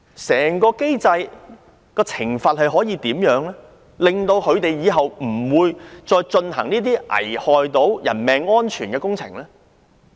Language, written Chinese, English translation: Cantonese, 整個機制的懲罰制度可如何改善，令承建商今後不會再進行這些危害人命安全的工程？, How can the penalty system under the whole mechanism be improved so that contractors will no longer carry out these life - endangering works?